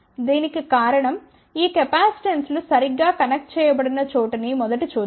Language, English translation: Telugu, The reason for that is let us see first of all where these capacitances are connected ok